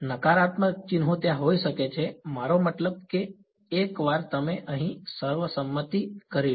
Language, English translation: Gujarati, Negative signs may be there I mean this is once you have consensus over here